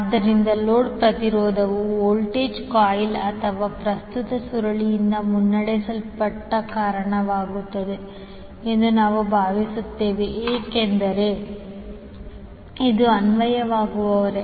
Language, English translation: Kannada, So we assume that the load impedance will cause the voltage coil lead its current coil by Theta because this is the load which is applied